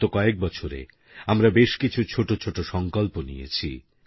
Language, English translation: Bengali, For the past many years, we would have made varied resolves